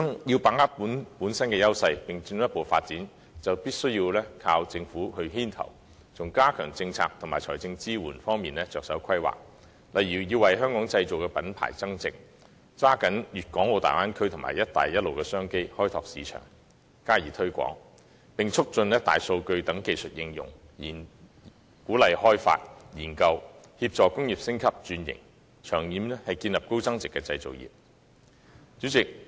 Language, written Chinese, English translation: Cantonese, 要把握自身優勢並進一步發展，就必須依靠政府牽頭，從加強政策及財政支援方面着手規劃，例如為"香港製造"的品牌增值；抓緊粵港澳大灣區和"一帶一路"的商機，開拓市場並加以推廣；以及促進"大數據"等技術應用，鼓勵開發和研究，協助工業升級轉型，長遠建立高增值的製造業。, In order to capitalize on our competitive edge for further development it is essential for the Government to take the lead by stepping up its policy planning and financial support for example adding value to the Made in Hong Kong brand . It is also essential to seize the opportunities arising from the development of the Guangdong - Hong Kong - Macao Bay Area and the Belt and Road Initiative to open up markets and step up promotion; promote the application of big data and other technology; encourage development and research; assist in industrial upgrading and restructuring and develop a high value - added manufacturing industry in the long run